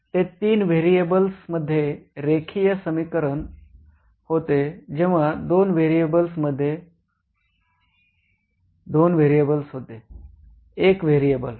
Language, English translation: Marathi, Ok that was linear equation in three variables when two variables you had two variables one variable, one variable